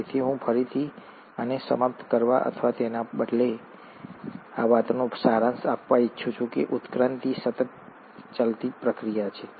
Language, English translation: Gujarati, So I would like to again, end this, or rather summarize this talk by saying that evolution is a continuous process